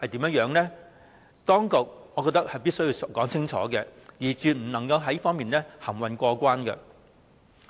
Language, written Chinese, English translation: Cantonese, 我認為當局亦必須清楚說明，絕不可以在此含混過關。, In my view the Bureau must give a clear illustration and cannot muddle through